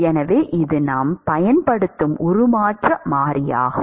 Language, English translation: Tamil, So, this is the transformation variable that we will use